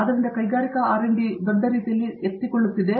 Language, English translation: Kannada, So, the industrial R&D is picking up in a big way